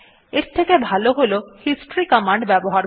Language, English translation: Bengali, A better way is to use the history command